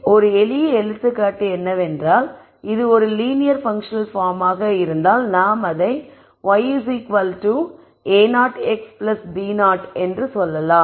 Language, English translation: Tamil, So, a simple example is if it is a linear functional form then I say y equal to a naught x plus b naught let us say